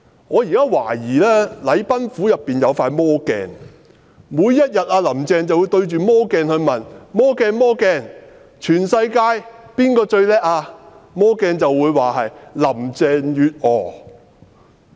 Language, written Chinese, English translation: Cantonese, 我懷疑禮賓府有一塊魔鏡，"林鄭"每天也會站到魔鏡前問："魔鏡、魔鏡，全世界最棒的是誰？, I suspect there is a magic mirror in Government House where Carrie LAM will stand in front of the mirror everyday asking Mirror mirror who is the greatest in this world?